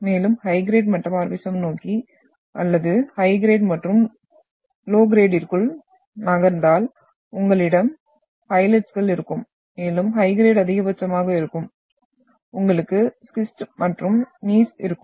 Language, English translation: Tamil, Further if you move towards the high grade metamorphism or within high grade and low grade, you will have phylites and further maximum in high grade, you will have schist and Gneiss